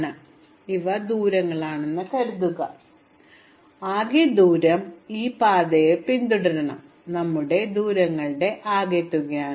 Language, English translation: Malayalam, So supposing these are distances then the total distance that we follow this path from V1 to VN will be the sum of the distances